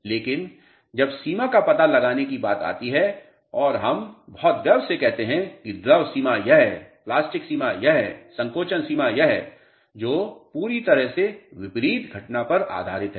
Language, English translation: Hindi, But, when it comes to finding out the limits and see we very proudly say the liquid limit is this, plastic limit is this, shrinkage limit is this which is based on a totally opposite phenomena